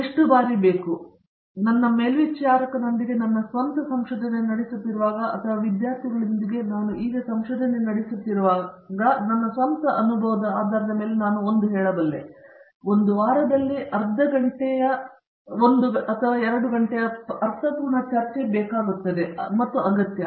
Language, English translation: Kannada, I would say based on my own experience in research with, when I was doing my own research with my supervisor or when I do research now with students, I think a meaningful discussion of an hour in a week is sufficient and required